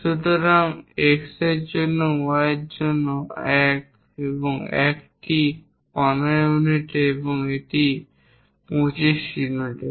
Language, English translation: Bengali, So, for X for Y for 1, 1 it is at 15 units and it is at 25 units